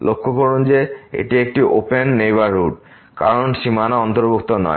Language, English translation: Bengali, Note that this is a open neighborhood because the boundary is not included